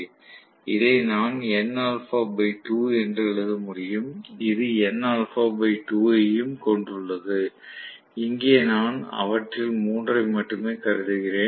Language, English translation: Tamil, So, I should be able to write this as n alpha by 2 and this also has n alpha by 2, here I have considered only three of them, right